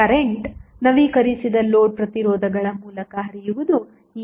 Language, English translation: Kannada, Current now, flowing through the updated load resistors is now Il dash